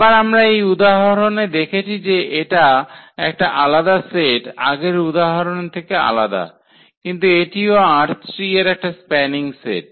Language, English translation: Bengali, So, again we have seen in this example that this was a different set here from than the earlier example, but again this is also a spanning set of this R 3